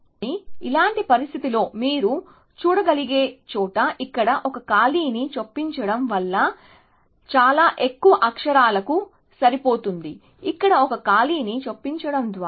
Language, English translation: Telugu, But, in a situation like this, where you can see that, inserting one gap here produces a match for so many more characters, simply by inserting one gap here